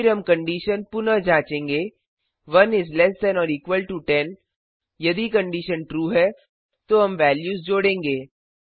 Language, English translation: Hindi, Now, here we will check whether 1 is less than or equal to 10 The condition is true again we will add the values